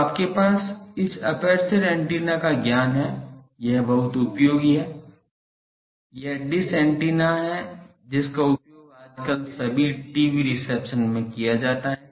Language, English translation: Hindi, So, you have a fairly good amount of knowledge from this another antenna aperture antenna, that is very useful that is dish antenna which is used in, now a day all the even TV receptions